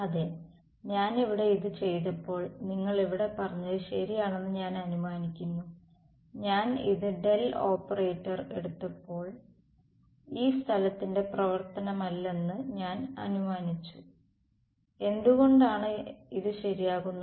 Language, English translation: Malayalam, Yes over here if I when I did this over here, I assume that you are right its over here implicitly when I took this the del operator I made the assumption that epsilon is a not a function of space and why is this sort of ok